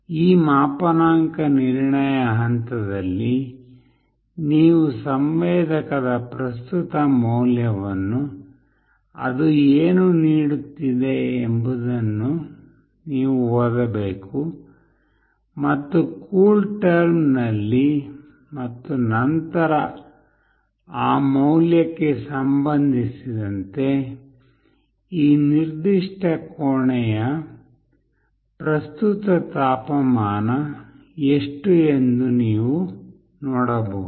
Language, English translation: Kannada, In this calibration step, you need to read the current value of the sensor, what it is giving and you can see that in CoolTerm and then with respect to that value, what is the current temperature of this particular room